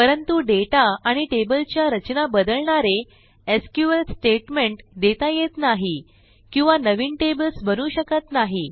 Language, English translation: Marathi, But we cannot execute SQL statements which modify data and table structures or to create new tables there